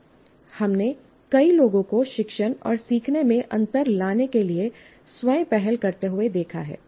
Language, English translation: Hindi, We have seen so many people taking initiatives on their own to make a difference to the teaching and learning